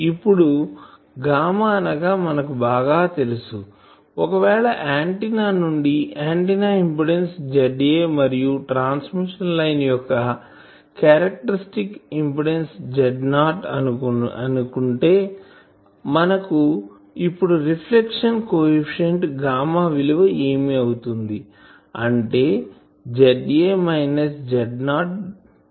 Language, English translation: Telugu, Now this gamma, this gamma is well known that if from these antennas int suppose the antenna is giving an impedance Z A and the characteristic impedance of this transmission line is Z not then we know that the reflection coefficient gamma will be Z A minus Z not by Z A plus Z not